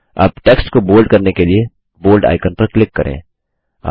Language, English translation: Hindi, Now click on the Bold icon to make the text bold